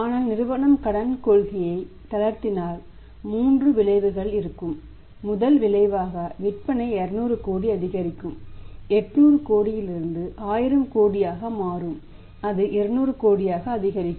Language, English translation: Tamil, But if company will relaxes the credit policy there will be 3 ways first effect will be that sales will increase by 200 crore’s it will become 1000 crore and go up from 800 crore to 1000 crore increased by 200 crore